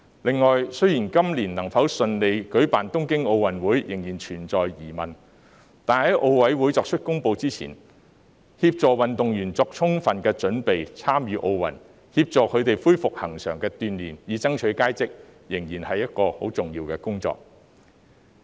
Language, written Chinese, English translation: Cantonese, 此外，雖然東京奧運會今年能否順利舉行仍然存在疑問，但在奧林匹克委員會作出公布前，協助運動員為參與奧運作充分準備、恢復恆常鍛鍊，以爭取佳績，仍然是一項十分重要的工作。, Furthermore though it is still uncertain whether the Tokyo Olympic Games will be held this year as scheduled pending the announcement of the Olympic Committee it is a very important task to facilitate athletes to get well prepared and resume regular training for the Olympic Games to strive for good results